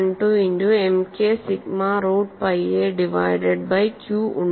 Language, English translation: Malayalam, 12 multiplied by M k sigma root of pi a divided by q